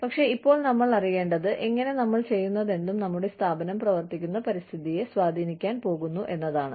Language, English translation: Malayalam, But, right now, you know, we need to know, what, how, whatever, we are doing, is going to, influence the environment, that our organization functions in